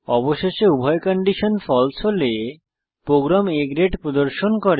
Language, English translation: Bengali, So Finally, if both the conditions are False, the program displays A Grade